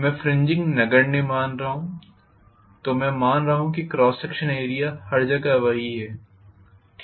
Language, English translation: Hindi, I am neglecting fringing, so I am assuming that the area of cross section is everywhere the same, okay